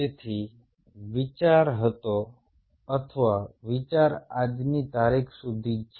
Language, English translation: Gujarati, so the idea was, or idea is, even till this date is